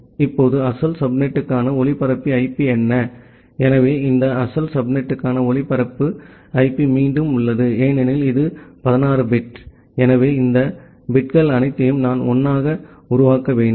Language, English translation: Tamil, Now, what is the broadcast IP for the original subnet, so the broadcast IP for this original subnet is again, because this is a 16 bit, so I need to make all these bits as 1